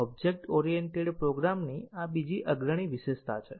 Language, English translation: Gujarati, This is another prominent feature of object oriented programming